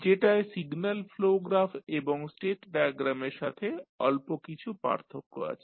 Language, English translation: Bengali, Which we have little bit difference as compared to signal flow graph and the state diagram